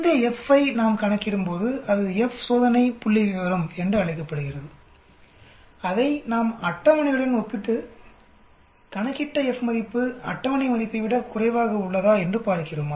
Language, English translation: Tamil, When we calculate this F then that is called F test statistic and we compare it with the table and see whether the F value which we calculate is less than the table value